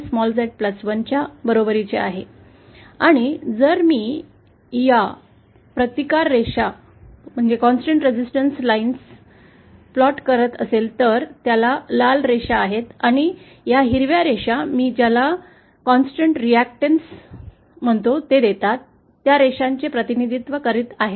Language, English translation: Marathi, So, then Gamma is equal to [z 1] upon [z+1] and if I plot these constant resistance lines represented by these are red lines and these green lines are representing what I am calling constant reactance lines